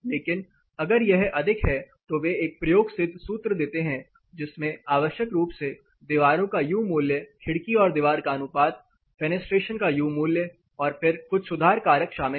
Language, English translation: Hindi, But in case if it is more then they give an empirical formula which is essential contains U value of the walls, the window wall ratio U value of fenestration, then certain correction factors to be included